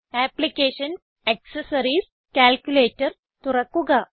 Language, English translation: Malayalam, So lets go to Applications, Accessories, Calculator